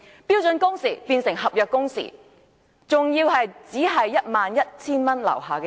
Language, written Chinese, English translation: Cantonese, 標準工時變成合約工時，還只適用於月薪 11,000 元以下的人。, Standard working hours has become contractual working hours and applicable only to those earning less than 11,000 a month